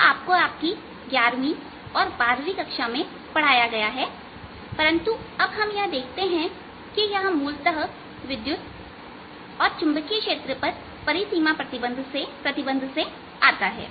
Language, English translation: Hindi, this you been taught in you eleventh, twelfth, but now we see that this are arries, basically the boundary condition on electric field and magnetic field